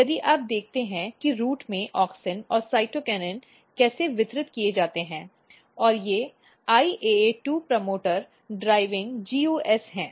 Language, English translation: Hindi, So, if you look how auxin and cytokinins are distributed in the root these are IAA2 promoter driving GUS